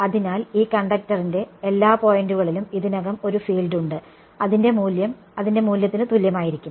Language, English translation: Malayalam, So, there is a field that is already there at every point of this conductor and its value is going to just be equal to the value of the